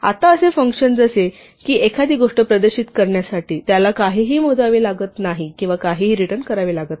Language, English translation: Marathi, Now such a function just as to display something, it does not have to compute or return anything